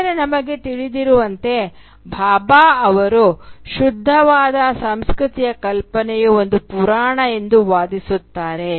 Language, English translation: Kannada, But as we know Bhabha would contend that such a notion of pure uncontaminated culture is a myth